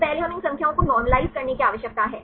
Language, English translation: Hindi, So, first we need to normalise these numbers